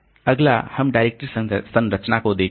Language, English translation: Hindi, Next we'll look into the directory structure